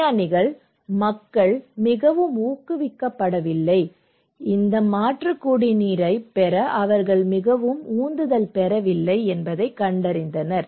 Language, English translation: Tamil, The scientists found that people are not very encouraged, not very motivated to have these alternative drinking water, right